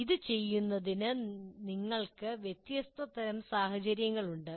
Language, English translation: Malayalam, And to do this, you again, you have different kind of scenarios